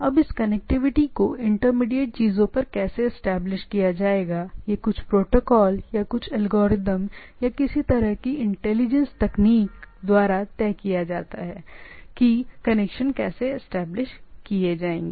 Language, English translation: Hindi, Now, this how this connectivity’s will be established by at the intermediate things is decided by some protocols or some algorithms or some way intelligent techniques that it how things will be established